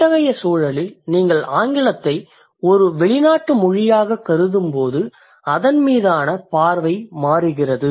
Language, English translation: Tamil, So in such a context when you think or when you consider English as a foreign language, the scenario changes or the situation changes